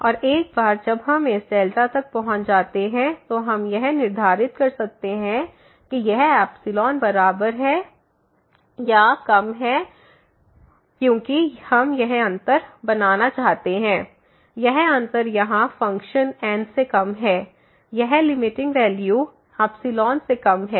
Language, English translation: Hindi, And once we reach to this delta, then we can set that this must be equal to less than equal to epsilon because we want to make this difference; this difference here of the function minus this limiting value less than epsilon